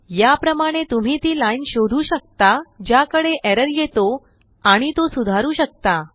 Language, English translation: Marathi, This way you can find the line at which error has occured, and also correct it